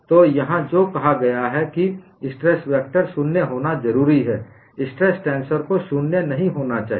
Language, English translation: Hindi, So, what is said here is stress vector is necessarily 0; stress tensor need not be 0; that is what is mentioned here